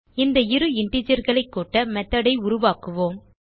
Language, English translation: Tamil, Let us create a method to add these two integers